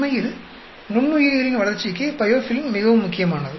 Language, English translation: Tamil, And biofilm is very very important for the growth of microorganisms and so on actually